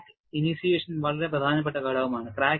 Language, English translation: Malayalam, Crack initiation is a very important phase